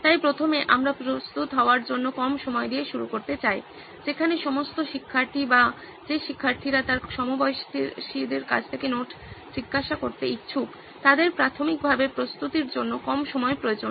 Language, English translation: Bengali, So firstly we would like to start with the less time to prepare part where all the students required or students who would be willing to ask the notes from his peers, should require less time to prepare basically